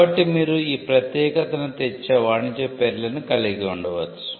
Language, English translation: Telugu, So, you could have trade names which will bring this uniqueness